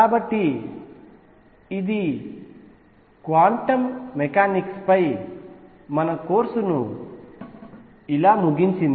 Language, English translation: Telugu, So, this concludes our course on quantum mechanics